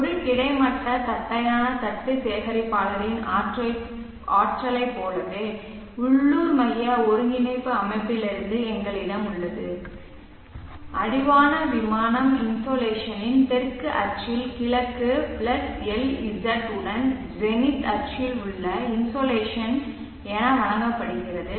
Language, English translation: Tamil, As in the case of the energy on a horizontal flat plate collector we have from the local centric coordinate system the insulation given as the insulation along the south axis of the horizon plane insulation along the east +LZ along the zenith axis, so L as Le and Lz are given in terms of the zenith angle and the azimuthal angle